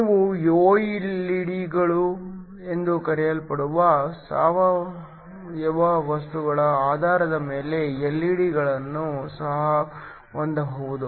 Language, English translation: Kannada, You can also have LED's based upon organic materials these are called OLED's